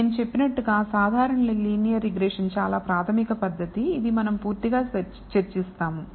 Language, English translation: Telugu, As I said the simple linear regression is the very very basic technique, which we will discuss thoroughly